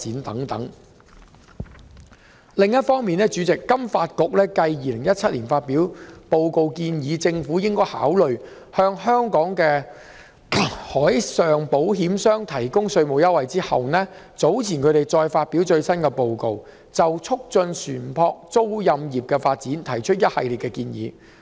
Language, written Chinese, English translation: Cantonese, 主席，另一方面，香港金融發展局繼於2017年發表報告，建議政府應考慮向香港的海事保險商提供稅務優惠後，早前再發表最新報告，就促進船舶租賃業的發展提出一系列建議。, Meanwhile President the Financial Services Development Council Hong Kong FSDC released a research report earlier which sets out a series of key recommendations for developing a significant maritime leasing industry in Hong Kong . This followed the report issued by FSDC in 2017 which recommended the Government to consider providing tax concessions to Hong Kong marine insurers